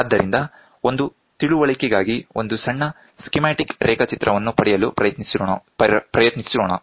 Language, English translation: Kannada, So, let us try to have a small schematic diagram for an understanding